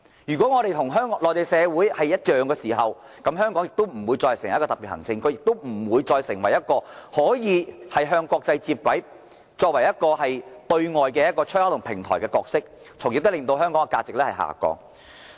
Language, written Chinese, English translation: Cantonese, 如果香港與內地社會沒有兩樣，此地便不再是特別行政區，亦不再能夠與國際接軌，擔當對外出口及平台的角色，香港的價值亦會隨之下降。, If there is no difference between Hong Kong and the Mainland this city is no longer a Special Administrative Region and Hong Kong can no longer align itself with international standards and serve as a window and platform for China to go global . The value of Hong Kong will then diminish